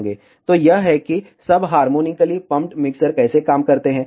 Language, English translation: Hindi, So, this is how ah sub harmonically pumped mixers works